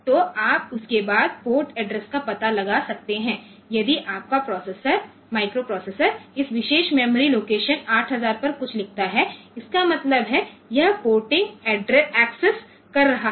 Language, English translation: Hindi, So, you can find out the port addresses after that if your microprocessor write something to this particular memory location 8000 so; that means, it is accessing porting